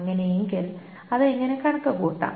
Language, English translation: Malayalam, Now how to compute it